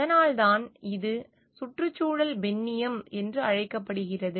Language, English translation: Tamil, That is why this is called ecofeminism